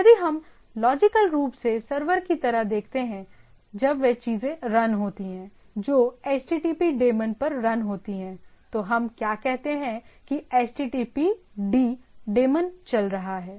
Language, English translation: Hindi, So, by this if we if we logically see like the server when that things are running that http daemon is running, what popularly what we say that “httpd” daemon is running